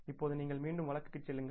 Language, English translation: Tamil, Now you go back to the case